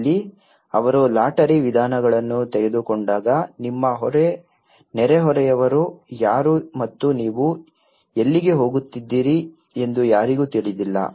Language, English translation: Kannada, Here, when they have taken a lottery approaches no one knows who is your neighbour and where you are going